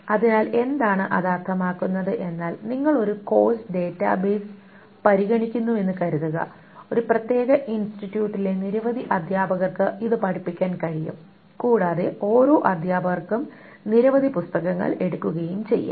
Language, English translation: Malayalam, So what does it mean is that suppose you consider a course database, it can be taught by many teachers in a particular institute and each teacher can take up many of the books